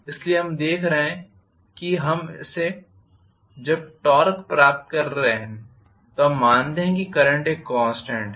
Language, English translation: Hindi, So, we are looking at when we are deriving torque we assuming current is a constant